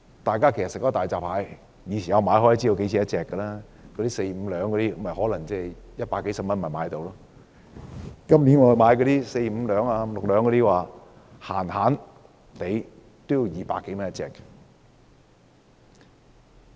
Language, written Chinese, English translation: Cantonese, 大家平日吃大閘蟹也大概知道價錢 ，4 至5兩重的大閘蟹大約100多元一隻，今年4至5兩重的大閘蟹動輒要200多元一隻。, As consumers of hairy crabs we probably have a rough idea of their prices . A hairy crab weighing four to five taels used to be priced at upwards of 100 . This year the price for a hairy crab of similar weight will cost more than 200